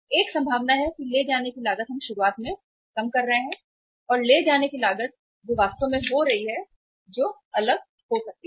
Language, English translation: Hindi, There is a possibility that the carrying cost we are working out in the beginning and the carrying cost actually taking place that might be different